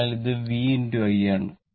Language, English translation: Malayalam, So, this is your v into i